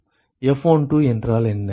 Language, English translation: Tamil, What is F12